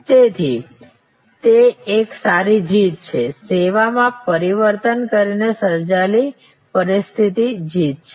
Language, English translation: Gujarati, So, it is a good win, win situation created by transforming the service itself